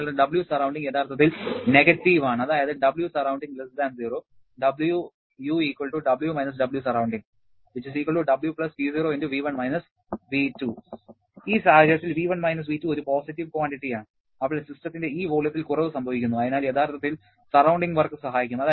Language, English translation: Malayalam, Your W surrounding is actually negative, that is your useful work is W W surrounding is actually W+P0*the change in the volume V1 V2 and in this case V1 V2 being a positive quantity where the system is undergoing a reduction in this volume, then actually the surrounding work will help